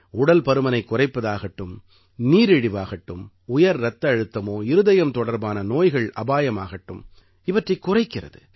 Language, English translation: Tamil, Along with reducing obesity, they also reduce the risk of diabetes, hypertension and heart related diseases